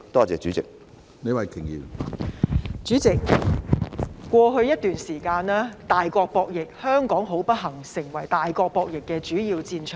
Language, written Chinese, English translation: Cantonese, 主席，過去一段時間，大國博弈，香港不幸成為大國博弈的主要戰場。, President over the recent period Hong Kong has unfortunately become a major battleground in the game of major powers